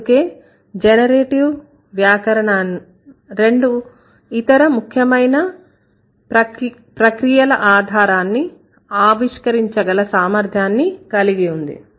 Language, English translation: Telugu, So, that is why generative grammar has the capability of revealing the basis of two other phenomena